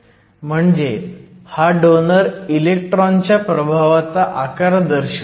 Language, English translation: Marathi, So, it represents a size of the influence of the donor electron